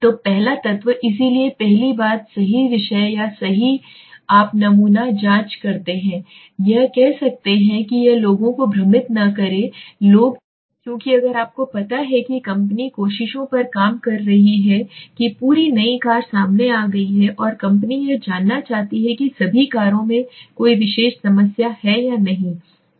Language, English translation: Hindi, So first element so the first thing is the right subjects or the right you know sample you can say it might be people it might be things it could be anything let us not confuse only with people because I have written people her so because if you know company is working on tries to check the whole new car has come out and the company wants to know Maruti suppose wants to know whether the all the cars have a particular have any problem or not